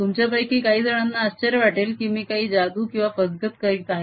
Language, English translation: Marathi, some may, some of you may wonder maybe i am doing some magic or some cheating